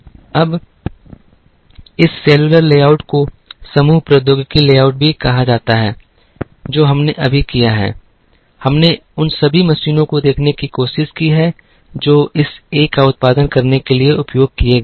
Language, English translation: Hindi, Now, this cellular layout also called group technology layout, what we have done right now is, we have tried to look at all the machines that were used to produce this A